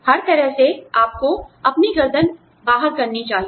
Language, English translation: Hindi, By all means, you must stick your neck out